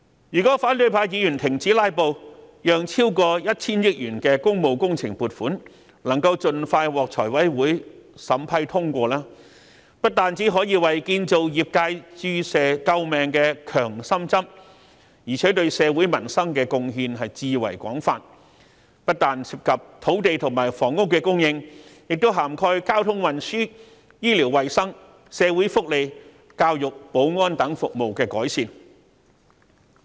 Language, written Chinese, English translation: Cantonese, 如果反對派議員停止"拉布"，讓超過 1,000 億元的工務工程撥款，能盡快獲財委會審批通過，不單可以為建造業界注射救命的強心針，而且對社會民生的貢獻至為廣泛，不但涉及土地及房屋供應，亦涵蓋交通運輸、醫療衞生、社會福利、教育及保安等服務的改善。, If opposition Members stop filibustering FC can expeditiously approve funding for works projects worth more than 100 billion . These projects will not only be a shot in the arm for the construction sector but will also bring improvements to various facets of peoples livelihood including land and housing supply as well as services such as transport health care social welfare education and security